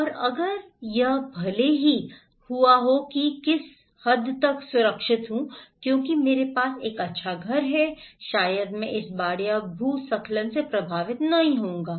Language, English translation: Hindi, And if it, even if it happened what extent I am vulnerable, because I have a good house maybe, I will not be affected by this flood or landslide